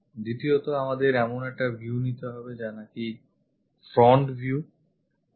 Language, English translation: Bengali, Second, we have to pick the views which one is front view